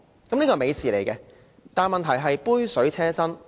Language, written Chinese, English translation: Cantonese, 這是一件美事，但問題是杯水車薪。, It is a wonderful thing but the problem is it is just a drop in the ocean